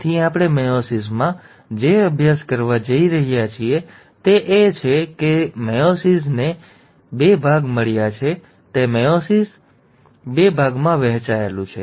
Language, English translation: Gujarati, So in what we are going to study in meiosis is that, meiosis itself has got two parts; it is divided into meiosis one and meiosis two